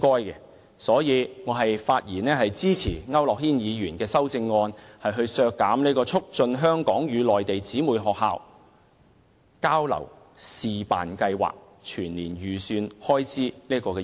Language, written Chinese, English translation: Cantonese, 因此，我發言支持區諾軒議員的修正案，削減"促進香港與內地姊妹學校交流試辦計劃"的預算開支。, Hence I rise to speak in support of Mr AU Nok - hins amendment which proposes to cut the estimated expenditure for the Pilot scheme on promoting interflow between the Hong Kong - Mainland sister schools